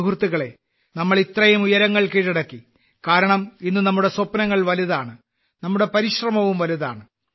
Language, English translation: Malayalam, Friends, we have accomplished such a lofty flight since today our dreams are big and our efforts are also big